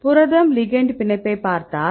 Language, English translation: Tamil, So, if you look at the protein ligand binding